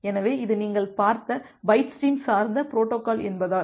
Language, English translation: Tamil, So, because it is a byte stream oriented protocol that you have seen